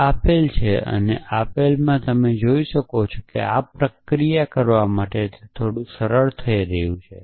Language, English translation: Gujarati, So, given this and given this you can see that it is becoming a little bit simpler to do this processing